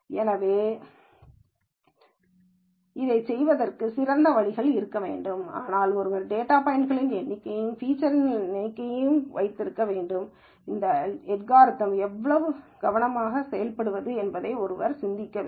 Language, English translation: Tamil, So, there must be smarter ways of doing it, but nonetheless one has to remember the number of data points and number of features, one has to think how to apply this algorithm carefully